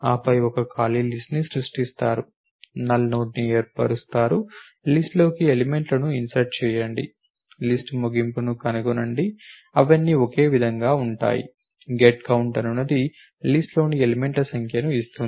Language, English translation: Telugu, Then make an empty list creation null node and insert elements in to the list find the end of the list all of them are the same get count returns the number of elements in a given list